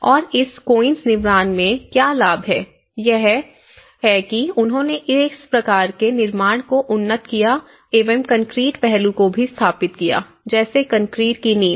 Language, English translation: Hindi, And what are the benefits of this quince constructions; one is they have upgraded this type of construction also embedded the concrete aspect and the concrete foundations